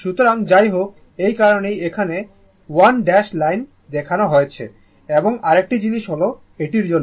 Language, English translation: Bengali, So, anyway, that is why that is why ah, that is why 1 dash line is shown here right and another thing is that ah for this one